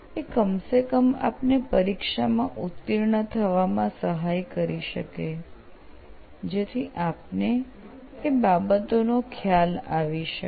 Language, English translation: Gujarati, But at least they will help you pass the exams, so you can have that idea of that